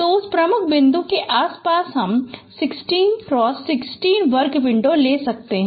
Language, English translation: Hindi, So around that key point we can take a 16 cross 16 square window